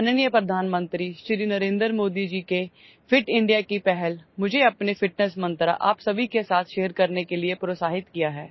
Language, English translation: Hindi, Honorable Prime Minister Shri Narendra Modi Ji's Fit India initiative has encouraged me to share my fitness mantra with all of you